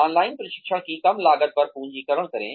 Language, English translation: Hindi, Capitalize on reduced costs of online training